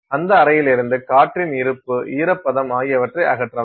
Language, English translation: Tamil, So, that you can remove any presence of air, any presence of moisture from that chamber